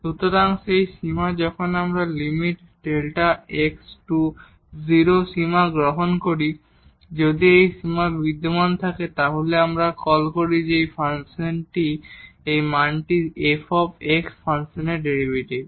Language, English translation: Bengali, So, that limit here when we take the limit delta x goes to 0, if this limit exists we call that this value is the derivative of the function f x